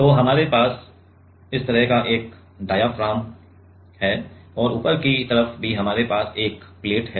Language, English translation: Hindi, So, we have a diaphragm like this and on the top side also we have a plate